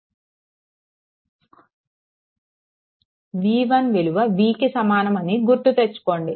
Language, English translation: Telugu, So, at note that v 1 is equal to v that also I told you